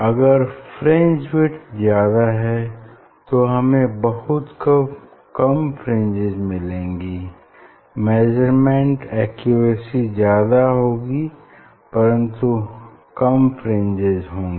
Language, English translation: Hindi, And, there is fringe width is very high then you will get very few fringe only, but measurement accuracy will be, but you will get few fringe